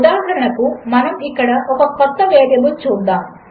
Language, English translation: Telugu, For example, lets set a new variable here